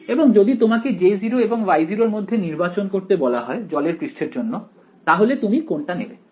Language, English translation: Bengali, And if you had to choose between J naught and Y naught for water on the surface what would you choose